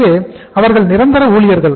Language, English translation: Tamil, So they are the permanent employees